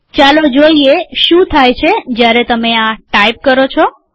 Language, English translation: Gujarati, Lets see what happens when you type this